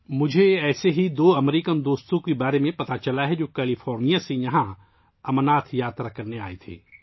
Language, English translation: Urdu, I have come to know about two such American friends who had come here from California to perform the Amarnath Yatra